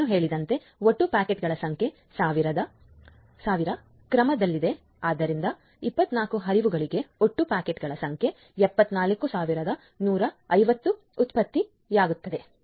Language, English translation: Kannada, And as I have mentioned the total number of packets is in the order of 1000s so, for 24 flows the total number of packets are generated 74150